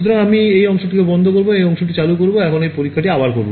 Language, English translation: Bengali, So I will turn this guy off, turn this guy on and repeat the same experiment